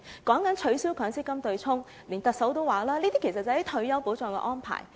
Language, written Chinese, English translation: Cantonese, 說到取消強積金對沖，連特首也說，這些其實是退休保障的安排。, When it comes to the offsetting arrangement of MPF even the Chief Executive said that it is actually a retirement arrangement